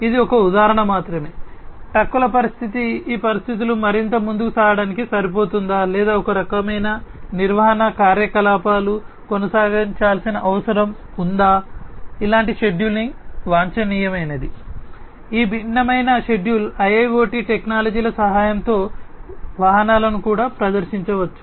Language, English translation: Telugu, But this is a just an example that, the condition of the trucks whether you know these conditions are good enough for carrying on further or there is some kind of maintenance activity that will need to be carried on, like this is the scheduling optimum scheduling of these different vehicles could also be performed with the help of IIoT technologies